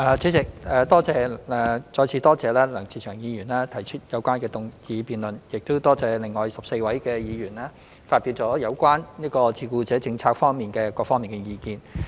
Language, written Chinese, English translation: Cantonese, 主席，再次多謝梁志祥議員提出有關議案辯論，亦感謝另外14位議員發表有關照顧者政策各方面的意見。, President I would like to thank Mr LEUNG Che - cheung again for his motion and the other 14 Members for their views on various issues concerning the carer policy